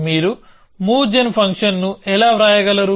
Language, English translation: Telugu, How can you write a move gen function